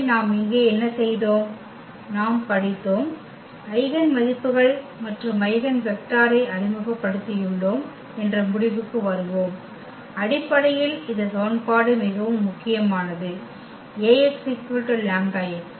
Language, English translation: Tamil, So, coming to the conclusion what we have done here, we have studied, we have introduced the eigenvalues and eigenvector and basically this equation was very important this Ax is equal to lambda x